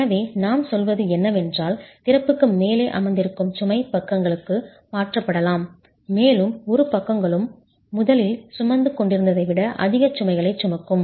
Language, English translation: Tamil, So what we are saying is the load that's sitting above the opening can get transferred to the sides and the two sides will then carry greater load than it was originally carrying